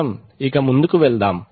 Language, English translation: Telugu, So let us go ahead